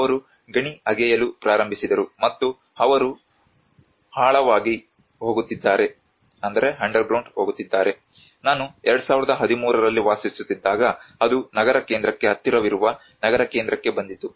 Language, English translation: Kannada, They started digging the mine, and they are going underground when I was living in 2013 it came almost down to the city centre close to the city centre